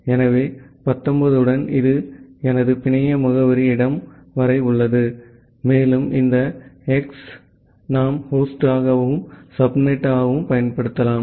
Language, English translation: Tamil, So, with 19, so this is up to my network address place, and this X that we can use as the host and a subnet